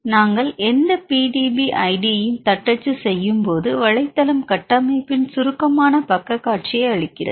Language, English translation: Tamil, When we type any PDB id, the website gives a summary page view of the structure